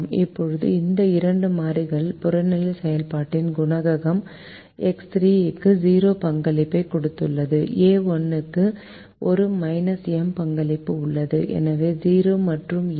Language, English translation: Tamil, now the objective function coefficient of these two variables are: x three has a zero contribution, a one has a minus m contribution